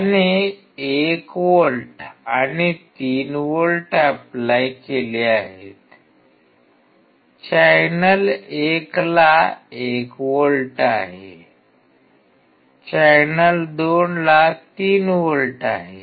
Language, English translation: Marathi, He has applied 1 volts and 3 volts; channel 1 has 1 volt, channel 2 has 3 volts